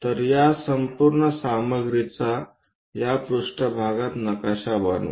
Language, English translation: Marathi, So, map this entire stuff onto this plane